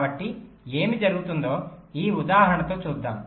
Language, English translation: Telugu, so let see for this example what will happen for this case